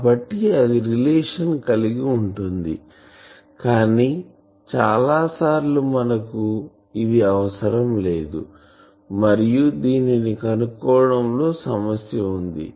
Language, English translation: Telugu, So, that can be related, but many times we do not want to we are at problem to find that